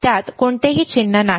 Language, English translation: Marathi, It does not have any sign